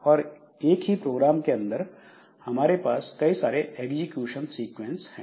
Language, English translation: Hindi, So we have got got multi so we have so within the same program we can have multiple execution sequences